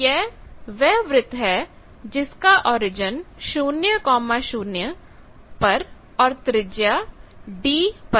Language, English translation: Hindi, So, that is where draw a circle of radius d with origin at 00